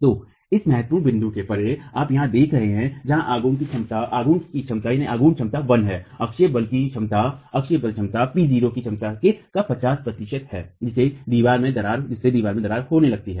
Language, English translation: Hindi, So beyond that point, this critical point that you see here where the moment capacity is 1, the axial force capacity is 50% of the capacity P0, the wall starts cracking